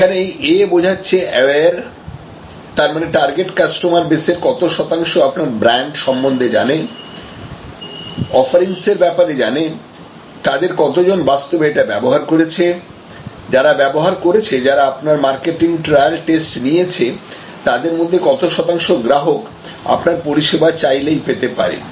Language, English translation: Bengali, This A stands for aware; that means, what percentage of your target customer base, they aware of your brand, aware of your offerings, how many of have actually already tried, how many what percentage of the tried people, who have gone through your trial test, marketing have ready access to your service